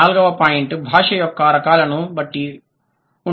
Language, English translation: Telugu, The fourth point is depending on the types of language